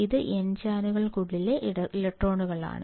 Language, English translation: Malayalam, This is electrons within n channels